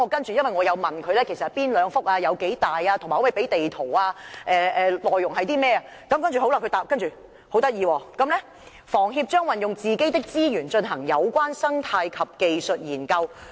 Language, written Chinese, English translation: Cantonese, 至於我問到是哪兩幅土地、面積有多大，以及可否提供地圖等，當局的答覆便十分有趣："房協將運用自己的資源進行有關生態及技術研究。, Regarding my questions about the details of the two sites including their locations and areas and whether a map showing the two sites could be provided the Government gave a very interesting reply as follows . HKHS will carry out and fund the ecological and technical studies